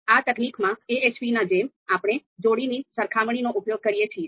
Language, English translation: Gujarati, So again in this technique also just like AHP, we use pairwise comparisons